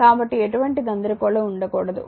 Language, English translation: Telugu, So, there should not be any confusion